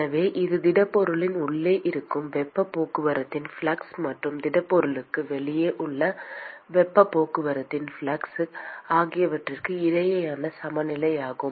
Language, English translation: Tamil, So, this is a balance between flux of the heat transport just inside the solid and flux of heat transport just outside the solid